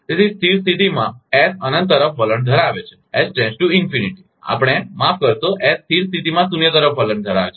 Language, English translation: Gujarati, So, as steady state S tends to infinity that we, sorry, S tends to zero at steady state